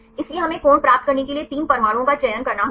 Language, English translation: Hindi, So, we have to select 3 atoms to get the angle